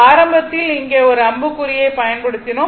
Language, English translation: Tamil, And throughout this little bit initially I have made an arrow here